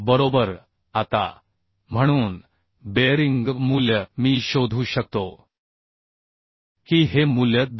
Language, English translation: Marathi, 49 right Now so bearing value I can find out Vpdb this value will be 2